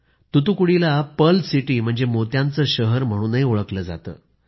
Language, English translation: Marathi, Thoothukudi is also known as the Pearl City